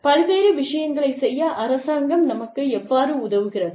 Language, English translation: Tamil, How does the government help us, do various things